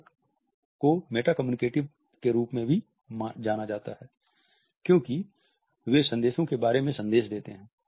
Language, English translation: Hindi, Illustrators are known as meta communicative because, they are messages about messages